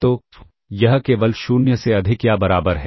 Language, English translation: Hindi, So, therefore, in general it is greater than equal to 0